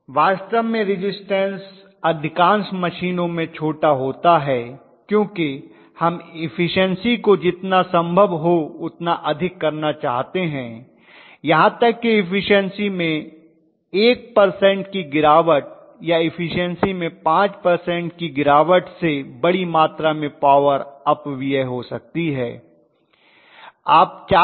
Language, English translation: Hindi, Resistance is really really small in most of the machines because we want to have the efficiency as high as possible, even 1 percent drop in efficiency or 5 percent drop in efficiency can cause a huge amount of power